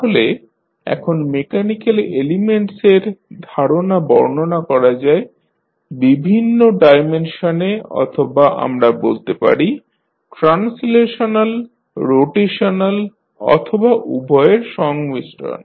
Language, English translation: Bengali, So, now the notion of mechanical elements can be described in various dimensions or we can say as translational, rotational or combination of both